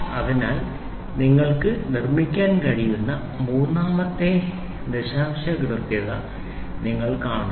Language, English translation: Malayalam, So, you see to that third decimal accuracy you can build